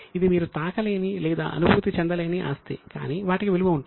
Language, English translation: Telugu, Now, this is something which you cannot touch or feel, but still they have a value